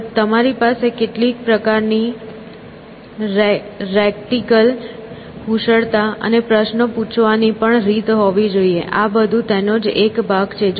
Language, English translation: Gujarati, Of course, you also have to have some kind of a rhetorical skills and ways of getting around questions and things like that, all that is part of it